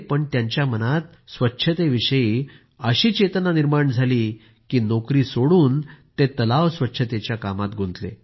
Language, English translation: Marathi, However, such a sense of devotion for cleanliness ignited in his mind that he left his job and started cleaning ponds